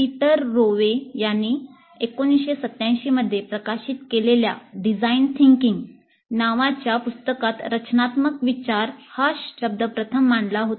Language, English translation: Marathi, The term design thinking was first introduced by Peter Rewe in his book titled Design Thinking, which was published in 1987